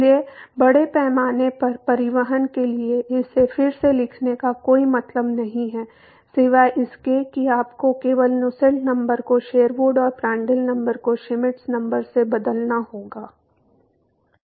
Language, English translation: Hindi, So, there is no point in rewriting it is for mass transport except that you have to just replace Nusselt number with Sherwood and Prandtl number with Schmidt number